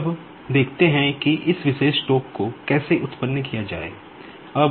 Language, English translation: Hindi, Now, let us see how to generate this particular torque